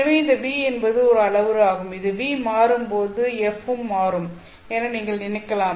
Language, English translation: Tamil, So this V is a parameter you can think of as V changes, F changes